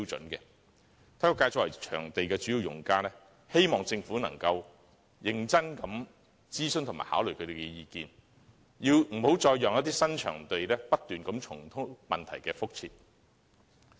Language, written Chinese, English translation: Cantonese, 體育界作為場地的主要用家，希望政府能認真諮詢和考慮他們的意見，不要再讓新場地重蹈覆轍。, It is the hope of the sports community as the major user that the Government can seriously consult them and consider their views instead of allowing the same mistakes to be repeated at the new venues